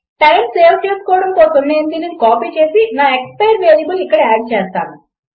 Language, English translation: Telugu, To save time, I am copying this and I will add my expire variable here